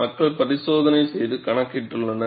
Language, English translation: Tamil, People have done experimentation and calculated it